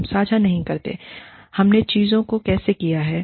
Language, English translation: Hindi, We do not share, how we have done things